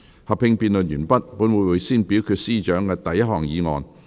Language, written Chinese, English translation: Cantonese, 合併辯論完畢後，本會會先表決司長的第一項議案。, After the joint debate has come to a close this Council will first vote on the Chief Secretary for Administrations first motion